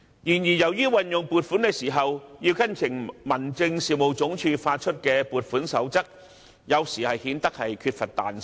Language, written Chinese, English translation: Cantonese, 然而，由於運用撥款時要跟從民政事務總署發出的撥款守則，有時顯得缺乏彈性。, However the requirement to follow the guidelines on funding of the Home Affairs Department HAD may sometimes compromise flexibility